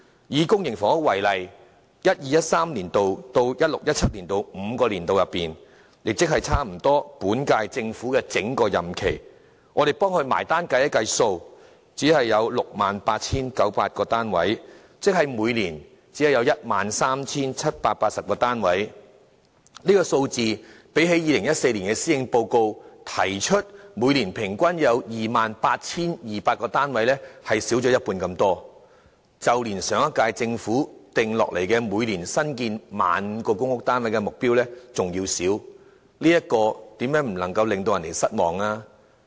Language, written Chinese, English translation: Cantonese, 以公營房屋為例，就 2012-2013 年度至 2016-2017 年度的5個年度，總結而言，只有 68,900 個單位，即每年只有 13,780 個單位，這個數字較2014年施政報告提出每年平均有 28,200 個單位少了一半之多，即較上一屆政府訂下每年新建 15,000 個公屋單位的目標還要少，試問又怎能不令人失望呢？, Take for instance the public housing supply only 68 900 public housing units were provided in the five - year period starting from 2012 - 2013 to 2016 - 2017 covering almost the entire term of the current - term Government meaning only 13 780 units were provided each year . Is it not appalling to learn that such a number has fallen short of more than half of the average of 28 200 units per annum mentioned in the 2014 Policy Address as well as the previous - term Governments target of 15 000 new public housing units built each year?